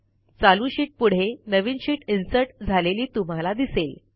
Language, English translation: Marathi, We see that a new sheet is inserted after our current sheet